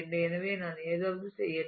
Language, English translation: Tamil, So, let me do something